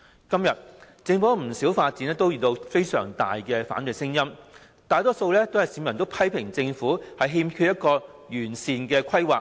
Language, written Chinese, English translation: Cantonese, 今天，政府不少發展項目遇到強烈的反對聲音，大多數市民批評政府欠缺完善規劃。, Today many development projects of the Government are met with strong opposition and most people criticize the Government for lacking sound planning